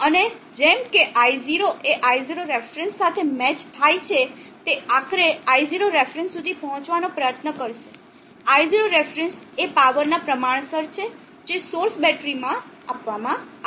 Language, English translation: Gujarati, And as I0 matches I0 ref it will ultimately try to reach the I0 not ref, I0 ref is proportional to the power that is being fed into the battery source